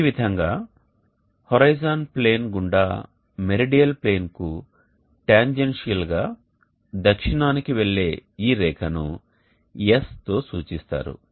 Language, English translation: Telugu, So this line which goes tangential to the meridional plane going down south along the horizon plane will be denoted as S